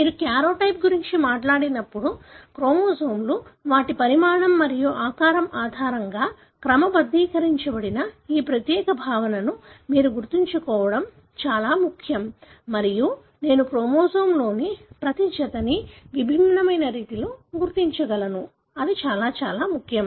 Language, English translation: Telugu, When you talk about karyotype, it is very important that you recollect this particular concept that the chromosomes are sorted based on their size and shape and I am able to identify each pair of the chromosome in a distinct way; that is very, very important